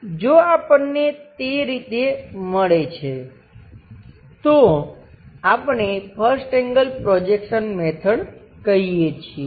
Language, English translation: Gujarati, If we are getting that, we call first angle projection technique